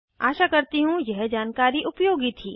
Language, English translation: Hindi, Hope this information was helpful